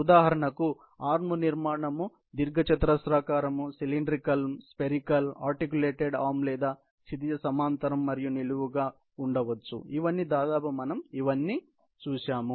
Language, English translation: Telugu, So, there are various types of arms structures; for example, the arms structure can be a rectangular, cylindrical, spherical, articulated arm or horizontal and vertical; all of these, we have more or less seen earlier